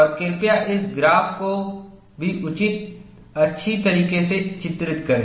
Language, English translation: Hindi, And please draw this graph as well as possible